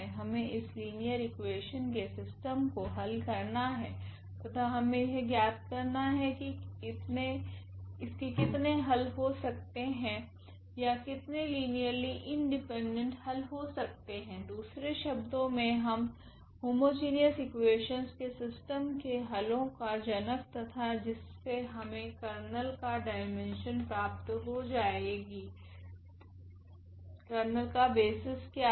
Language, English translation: Hindi, We need to solve this system of linear equations and we will find out how many solutions are there or how many linearly independent solutions are there or in other words we call the generators of the solution of this system of homogeneous equations and from there we will find out what is the what is the dimension of the Kernel, what is the what are the basis of the Kernel